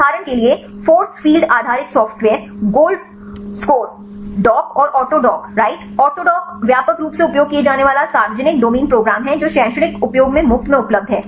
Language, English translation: Hindi, For example force field based software the GoldScore, the DOCK and AutoDock right autodock is the widely used public domain program that is available for free in the academic usage